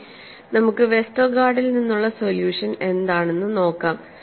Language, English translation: Malayalam, Now, let us look at what was the solution from Westergaard